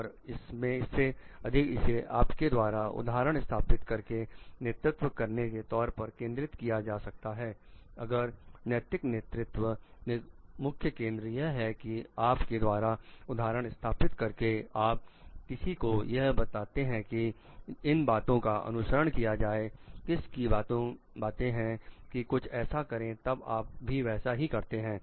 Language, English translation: Hindi, And it more so it focuses on you leading by example, if an ethical leadership the main focus is like you are leading by example if you are telling someone to follow telling someone to do something then you must also be doing the same thing